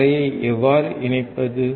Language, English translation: Tamil, How to connect the ground